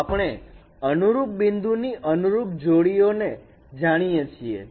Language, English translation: Gujarati, So we know the corresponding pair of corresponding, corresponding points